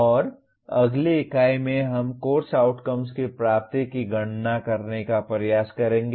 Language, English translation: Hindi, And in the next unit, we will try to compute the attainment of course outcomes